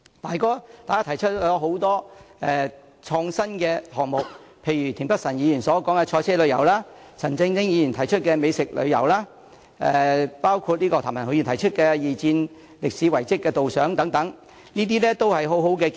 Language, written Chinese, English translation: Cantonese, 大家提出了很多創新的項目，例如田北辰議員所說的賽車旅遊、陳振英議員提出的美食旅遊、譚文豪議員提及的二戰歷史遺蹟導賞等，這些都是很好的建議。, Members have floated many innovative ideas such as motorsport tourism as discussed by Mr Michael TIEN gourmet tourism as suggested by Mr CHAN Chun - ying and guided tours of World War II historic sites as mentioned by Mr Jeremy TAM . All these are brilliant proposals